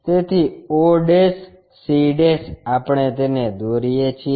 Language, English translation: Gujarati, So, o' c' we draw it